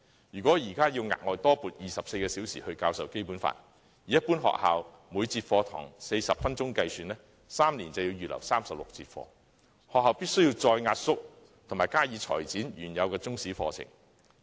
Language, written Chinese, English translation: Cantonese, 如果現在要額外多撥24小時教授《基本法》，以一般學校每節課堂40分鐘計算 ，3 年便要預留36節課堂，學校必須再壓縮及裁剪原有的中史課程。, If an additional 24 hours are required to be allocated for the teaching of the Basic Law 36 sessions will have to be set aside over three years if each session in schools in general lasts 40 minutes . This means that the original Chinese History programmes in schools must be compressed and tailored further